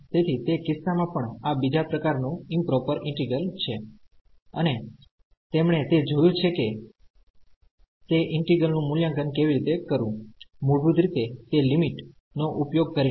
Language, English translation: Gujarati, So, in that case also this is a improper integral of a second kind and they we have seen how to evaluate those integrals basically using that limit